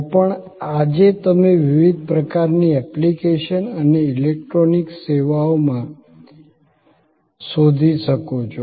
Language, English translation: Gujarati, Even, that you can find today to various kinds of application and electronic services